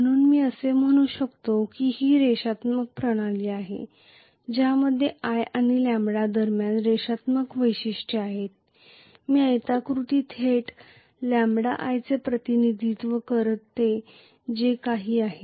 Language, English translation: Marathi, So if I may say that it is the linear system which has linear characteristics between i and lambda, I am going to have essentially whatever is this rectangle that represents directly lambda times i